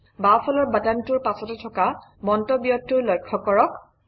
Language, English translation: Assamese, Observe the comment next to the left button